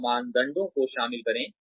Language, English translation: Hindi, Incorporate these criteria